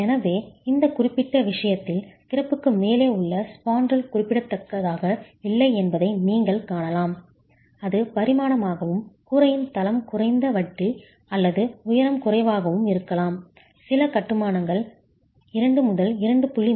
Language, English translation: Tamil, So, in this particular case, you can see that the spandrel above the opening is not significant in its dimension and the roof is the floor slab is rather low, interstory height can be low, it can be as low as 2